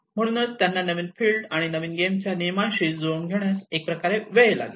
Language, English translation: Marathi, So that is where it takes time to adapt to the way they have to accustom with the new field and new game rules